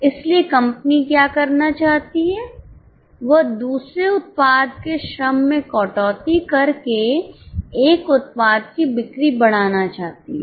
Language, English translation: Hindi, So, what company wants to do is wanting to increase the sale of one product by cutting down the labor of other product